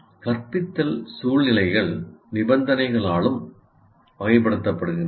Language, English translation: Tamil, And then instructional situations are also characterized by conditions